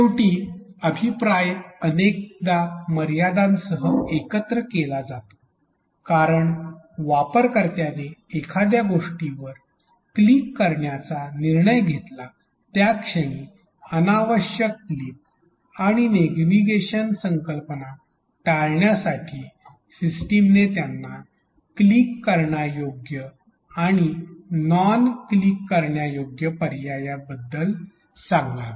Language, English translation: Marathi, Finally the feedback is often clubbed with constraints, why because the moment the user decides to click on something, the system should tell them about the clickable and non clickable options also in order to avoid unnecessary clicks and navigation ideas